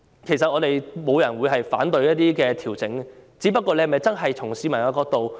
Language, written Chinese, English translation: Cantonese, 其實，沒有人會反對調整，只是政府有否從市民的角度考慮事情呢？, In fact no one opposes the adjustments . At issue is whether the Government has considered the issues from the angle of the public